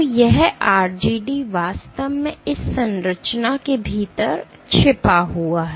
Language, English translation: Hindi, So, this RGD is actually hidden within this structure